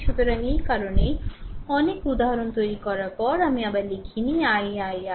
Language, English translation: Bengali, So, that is why after making so, many examples, I did not write again I I I right